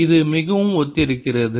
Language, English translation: Tamil, this is very similar